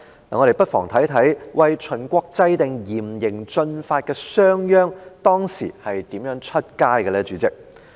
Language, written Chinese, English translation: Cantonese, 我們不妨看看為秦國制定嚴刑峻法的商鞅當時是如何外出呢？, We might as well look at how SHANG Yang the official who formulated the strict laws and cruel punishments for Qin state travelled